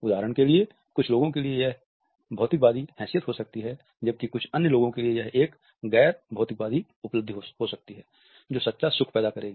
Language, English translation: Hindi, For example, for some people it is the materialistic positions which can create happiness whereas, for some other people it may be a non materialistic achievement which would generate true happiness